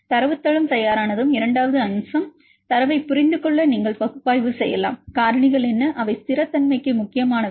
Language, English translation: Tamil, Once the database is ready, then the second aspect, you can analyze the data to understand, what are factors which are important for the stability